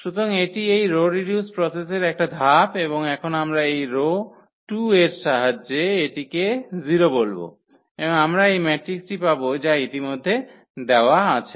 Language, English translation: Bengali, So, this is the one step of this row reduction process and now we will said this 0 with the help of this row 2 and we will get this matrix which is given already there